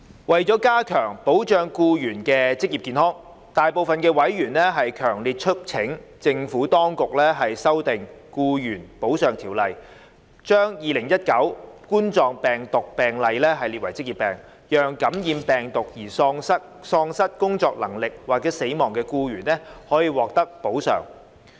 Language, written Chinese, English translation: Cantonese, 為加強保障僱員的職業健康，大部分委員強烈促請政府當局修訂《僱員補償條例》，把2019冠狀病毒病列為職業病，讓感染病毒而喪失工作能力或死亡的僱員可獲得補償。, To enhance the protection of employees occupational health most members strongly urged the Administration to amend the Employees Compensation Ordinance to prescribe COVID - 19 as an occupational disease such that employees would be compensated for incapacity or death resulting from COVID - 19 infections